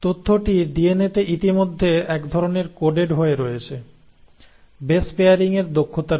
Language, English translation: Bengali, So that information is kind of coded already in the DNA, thanks to the ability of base pairing